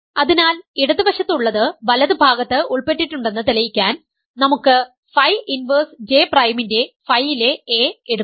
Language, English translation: Malayalam, So, to prove the inclusion of the left hand side into in the right hand side, let us take a in phi of phi inverse J prime